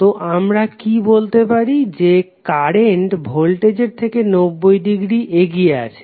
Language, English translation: Bengali, So what we can say that in this case current will lead voltage by 90 degree